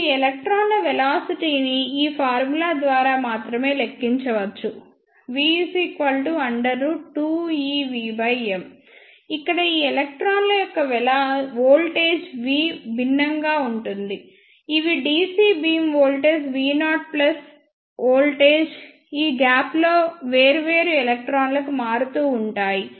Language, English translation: Telugu, And velocity of these electrons can be calculated by this formula only v is equal to under root two e capital V divided by m, where the capital V voltage for these electrons will be different that will be dc beam voltage v naught plus voltage across this gap that will vary for different electrons